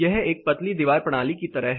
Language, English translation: Hindi, This is like a thin wall system